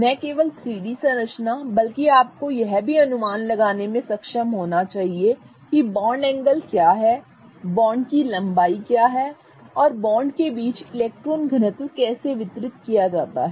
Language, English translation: Hindi, Not only the 3D structure but you should also be able to predict what are the bond angles, what are the bond lens and also how is the electron density distributed between the bonds